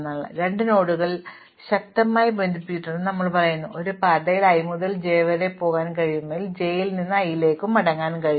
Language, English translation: Malayalam, So, we say that two nodes are strongly connected, if I can go from i to j by a path and I can come back from j to i by a path